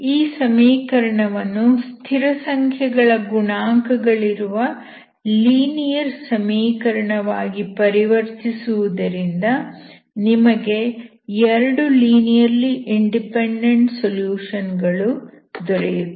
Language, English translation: Kannada, The basic idea is to convert this equation into an equation with constant coefficients for which you know how to find two linearly independent solutions